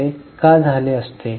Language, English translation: Marathi, Why this would have happened